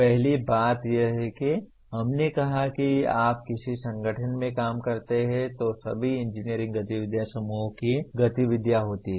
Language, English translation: Hindi, First thing is as we said all engineering activities are group activities when you work in an organization